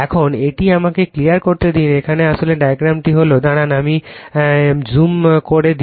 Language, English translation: Bengali, Right now, this is let me clear it , now actually diagram is, hold on hold on I will I will reduce the zoom just hold on